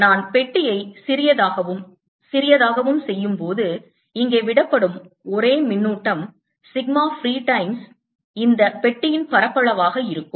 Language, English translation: Tamil, as i make box smaller and smaller, the only charge i that will be left here will be sigma free times the area of this box